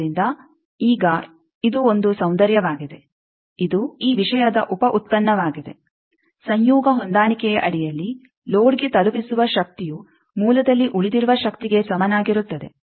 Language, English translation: Kannada, So, now this is one beauty, this is a byproduct of this thing, t hat under conjugate matching since power delivered to load is equal to power remained in source